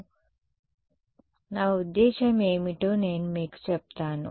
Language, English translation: Telugu, So, I will tell you what I mean